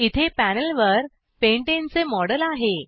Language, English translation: Marathi, Here is a model of pentane on the panel